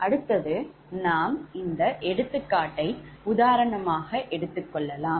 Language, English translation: Tamil, next we will take an example of like that, right